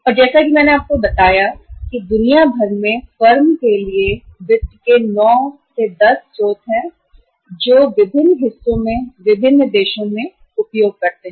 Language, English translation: Hindi, And as I told you there are 9, 10 sources of finance around the globe, around the world which firms use in the different countries in the different parts of the world